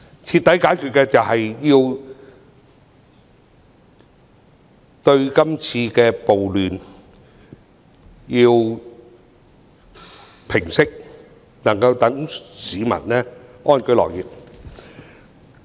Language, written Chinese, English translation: Cantonese, 徹底解決的方法是平息今次的暴亂，讓市民能夠安居樂業。, The once - and - for - all solution is to end the civil disturbances and let people live and work in peace again